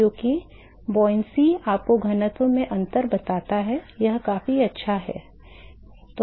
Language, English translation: Hindi, Because buoyancy tells you the difference in the density, that is good enough